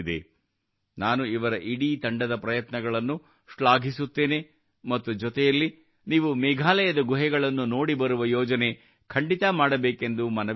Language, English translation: Kannada, I appreciate the efforts of this entire team, as well as I urge you to make a plan to visit the caves of Meghalaya